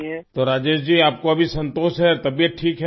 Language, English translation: Urdu, So Rajesh ji, you are satisfied now, your health is fine